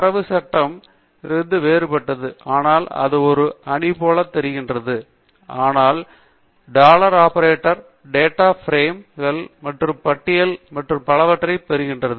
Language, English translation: Tamil, Data frame is different from matrix but it looks like a matrix, but the dollar operator applies to data frames, and lists, and so on